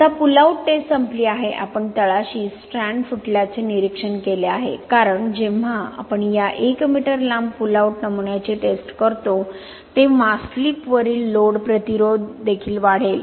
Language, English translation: Marathi, Now the pull out test is over, we have observed strand rupture at the bottom because when we test this 1 m long pull out specimen, the load resistance to the slip will also increase